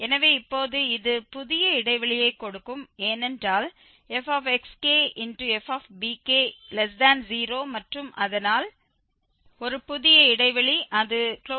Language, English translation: Tamil, So, now this will give the new interval because xk and bk this product is less than 0 and so a new interval it is 0